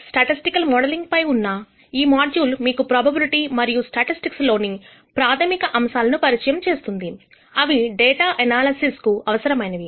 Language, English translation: Telugu, This module on Statistical Modeling will introduce you the Basic Concepts in Probability and Statistics that are necessary for performing data analysis